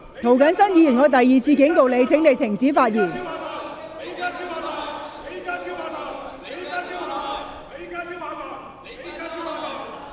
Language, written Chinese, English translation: Cantonese, 涂謹申議員，我第二次警告你，請停止叫喊。, Mr James TO I warn you for the second time . Please stop shouting